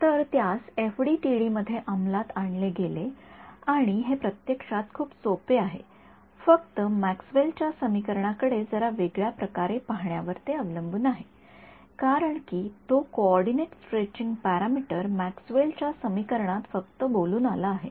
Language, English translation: Marathi, So, implementing it into FDTD and turns out its actually very simple just depends on us looking at Maxwell’s equation a little bit differently; why because that coordinate stretching parameter it appeared in Maxwell’s equation just by relooking right